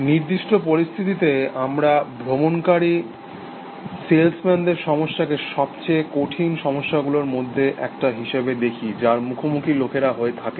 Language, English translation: Bengali, In certain situations like, we will see travelling salesman problem, is one of the hardest problems, that people